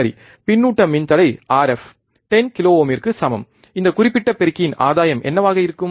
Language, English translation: Tamil, Feedback resistor R f equals to 10 kilo ohm, what will be the gain of this particular amplifier